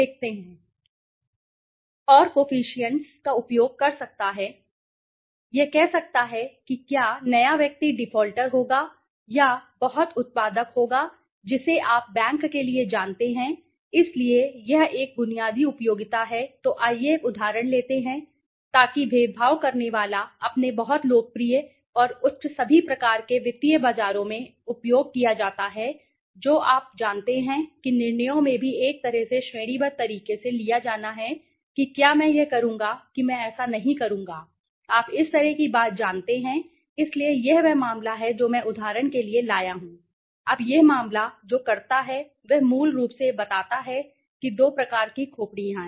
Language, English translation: Hindi, And the coefficients it can using the coefficients it can say whether the new person would be a defaulter or a very a productive you know person for the bank so that is a basic utility so let us take an example so discriminant has his very popular and highly utilized in all kinds of financial markets you know even in decisions have to be taken in case of a like categorical way whether I will do it I will not do it you know kind of a thing so this is the case which I have brought in example, now this case what it does is basically it explains that two types of skull